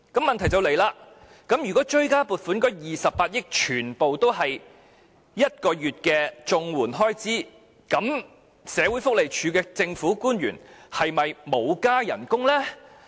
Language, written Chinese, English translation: Cantonese, 問題就出現了：如果追加撥款的28億元全都用於綜援1個月額外援助金的開支，社署的政府官員是否沒有增加薪酬呢？, Here a question arises if the 2.8 billion in the supplementary appropriation was all spent on providing one additional month of payment to CSSA recipients does that mean public officers of the Social Welfare Department did not receive any pay adjustment?